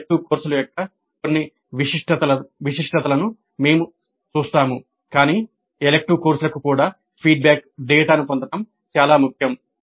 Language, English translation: Telugu, We will see some of the peculiarities of elective courses but it is very important to get the feedback data even for elective courses